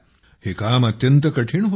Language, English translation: Marathi, It was a difficult task